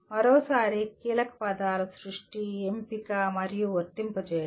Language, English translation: Telugu, Once again, keywords are creation, selection, and applying